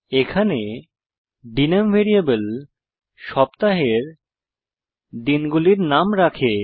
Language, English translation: Bengali, Here dName is a variable to hold the names of the days of a week